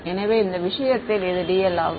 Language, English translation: Tamil, So, this is dl in this case